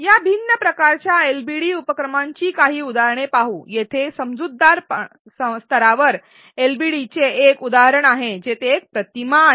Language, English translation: Marathi, Let us see some examples of these different types of LbD activities; here is an example LbD at an understand level where there is an image